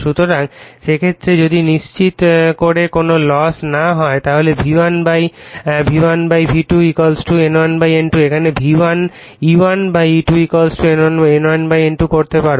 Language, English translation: Bengali, So, in that case if we assume that there is no loss then we can make V1 / V1 / V2 = your N1 / N2 here it is E1 / E2 = N1 / N2 right